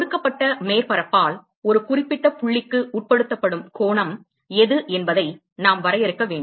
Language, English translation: Tamil, We need to define what is the angle that is subtended by a given surface to a particular point ok